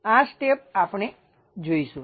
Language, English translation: Gujarati, This step we will see